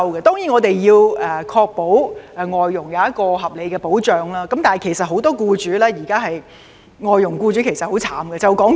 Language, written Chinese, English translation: Cantonese, 我們固然要確保對外傭提供合理的保障，但現時很多外傭僱主都十分可憐。, We certainly have to ensure that FDHs are provided with reasonable protection but many FDH employers are very miserable at present